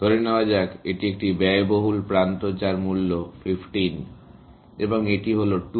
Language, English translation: Bengali, Let us say, this is an expensive edge, costing 15 and this is 2